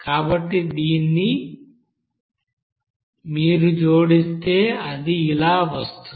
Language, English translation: Telugu, So if you add it then it will be coming this